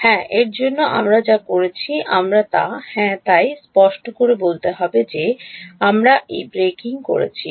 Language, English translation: Bengali, Yeah that is why we are doing we are that is yeah so, to clarify that we are doing this breaking up